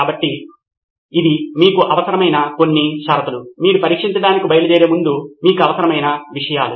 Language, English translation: Telugu, So these are some of the conditions that you need, things that you need before you can set out to test